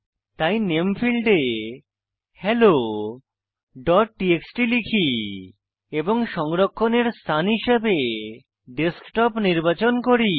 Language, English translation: Bengali, So, let me type the name as hello.txt and for location I will select the Desktop